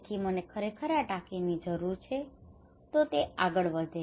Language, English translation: Gujarati, So I really need this tank so he would go ahead